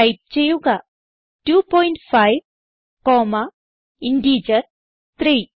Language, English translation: Malayalam, So type 2.5 comma and an integer 3